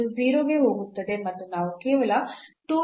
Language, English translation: Kannada, So, this will go to 0 and we will get only 2 x